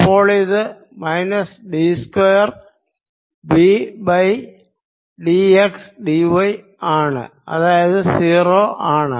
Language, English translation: Malayalam, so it will become minus d two v by d x d y, which is zero